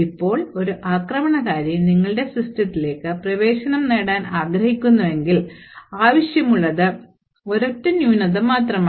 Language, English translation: Malayalam, Now, if an attacker wants to get access to your system, all that is required is just a one single flaw